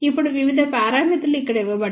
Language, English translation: Telugu, Not the various parameters are given over here